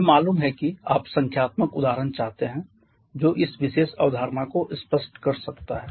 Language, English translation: Hindi, Let me show you want numerical example which may make this particular concept more clear